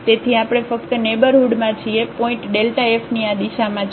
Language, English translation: Gujarati, So, we are in only the neighborhoods points are in this direction of y